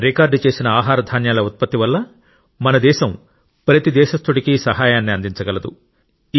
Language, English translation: Telugu, Due to the record food grain production, our country has been able to provide support to every countryman